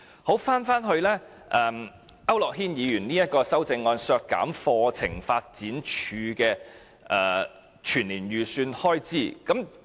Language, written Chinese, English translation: Cantonese, 說回區諾軒議員削減課程發展處的全年預算開支的修正案。, I now return to the amendment proposed by Mr AU Nok - hin to deduct the annual estimated expenditures of CDI